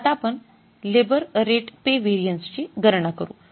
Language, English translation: Marathi, And what is the labor rate of pay variance